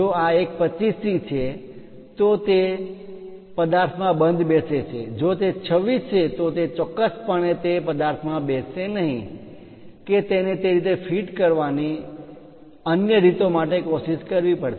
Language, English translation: Gujarati, If this one is 25 it fits in that object, if it is 26 definitely it will not fit into that object one has to do other ways of trying to fit that